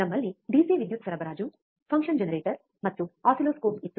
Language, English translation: Kannada, We had a DC power supply, a function generator, and an oscilloscope